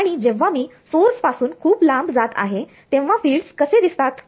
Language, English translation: Marathi, And when I score stands far away from the source what do the fields look like